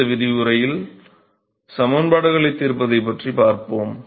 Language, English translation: Tamil, We will come to solving the equations in the next lecture